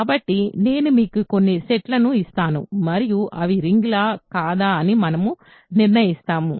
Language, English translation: Telugu, So, we I will give you some sets and we will decide if they are rings or not